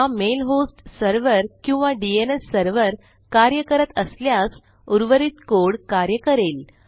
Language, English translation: Marathi, Presuming this mail host server or DNS server works, then the rest of the code will work